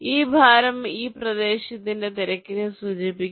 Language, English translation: Malayalam, this weight indicates the congestion of that area